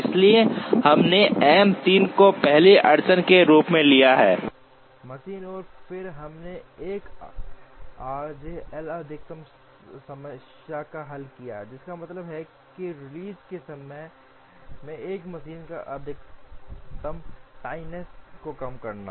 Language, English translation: Hindi, So, we took M 3 as the first bottleneck machine, and then we solved a 1 r j L max problem, which means problem of minimizing the maximum tardiness on a single machine with release times